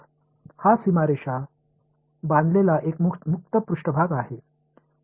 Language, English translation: Marathi, It is a open surface bounded by this boundary right